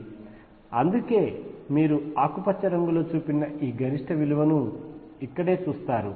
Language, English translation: Telugu, And that is why you see this maximum right here shown by green